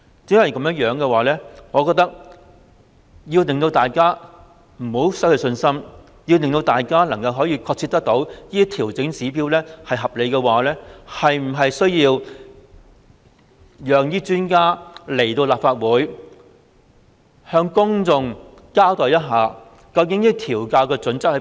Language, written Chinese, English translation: Cantonese, 正因如此，為免令大家失去信心，並讓大家確切了解調整指標是合理的做法，我們是否需要請專家來立法會向公眾交代，究竟調校準則為何？, For this reason to avoid losing public confidence and let us clearly understand that it is reasonable to adjust the trigger level we need to invite experts to the Legislative Council to give an account to the public do we not? . What are the actual criteria for adjustment?